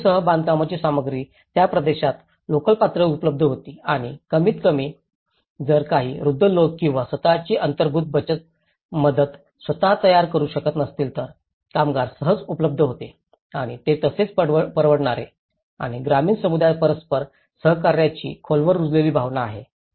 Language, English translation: Marathi, Construction materials including bamboo were available locally in that region and at least if some elderly people or if they are unable to make their own can self built self help construction then still the labour was easily accessible and they were affordable as well and rural communities have a deep rooted sense of mutual cooperation